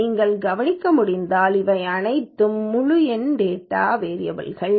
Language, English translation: Tamil, If you can notice all of them are integer type data variables